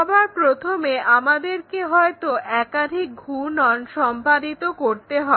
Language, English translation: Bengali, First of all, we may have to do multiple rotations